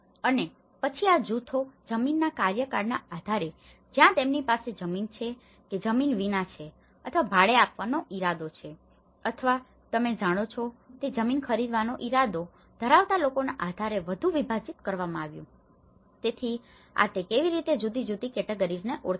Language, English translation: Gujarati, And then these groups has been further subdivided based on, land tenure whether they have land or without land or intend to rent or those without who intend to buy land you know, so, this is how the different categories they have identified